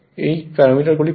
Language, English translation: Bengali, These are the parameters given